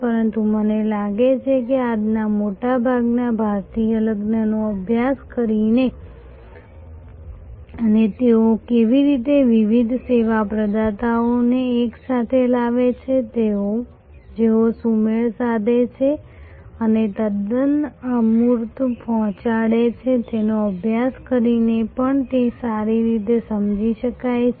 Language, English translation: Gujarati, But, I think it can also be understood very well by studying today's big fat Indian wedding and how they bring different service providers together who synchronize and deliver a quite intangible